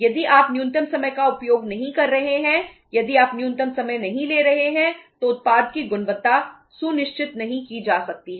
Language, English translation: Hindi, If you are not using the minimum time, if you are not taking the minimum time the product quality cannot be assured